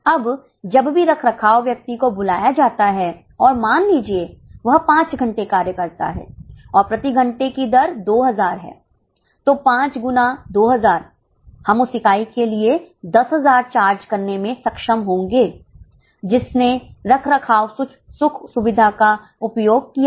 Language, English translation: Hindi, Now whenever maintenance person is called and suppose works for five hours and rate per hour is 2000, then 5 into 2,000 we will be able to charge 10,000 for the unit which has used maintenance facility